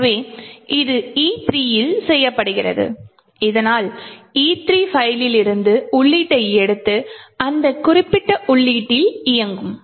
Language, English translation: Tamil, So, this is done by at E3 so which would take the input from the file E3 and run with that particular input